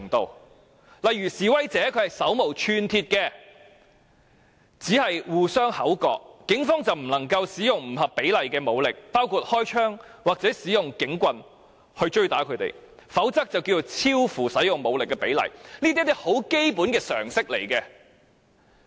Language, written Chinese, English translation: Cantonese, 舉例說，如果示威者手無寸鐵，只是口角，警方便不能夠使用不合比例的武力，包括開槍或用警棍追打他們，否則便會超出所需的武力比例，這只是一些基本常識而已。, For instance if demonstrators are unarmed and are engaged in arguments only the Police cannot use force disproportionate to the circumstance including shooting with guns or using batons to chase and hit them; otherwise it will exceed the proportion of the force required . This is only common sense